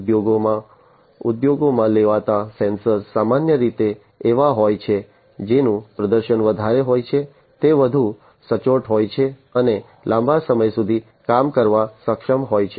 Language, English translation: Gujarati, The sensors that are used in the industries are typically the ones, which have higher performance, are much more accurate, and are able to perform for longer durations of time